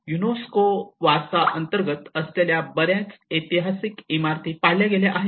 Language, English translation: Marathi, And many of the historic buildings which are under the UNESCO heritage have been demolished